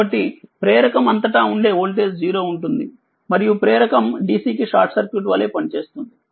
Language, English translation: Telugu, Therefore, the voltage across an inductor is 0 thus an inductor acts like a short circuit to dc right